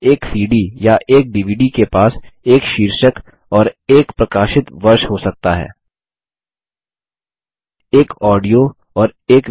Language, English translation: Hindi, A CD or a DVD can have a title and a publish year for example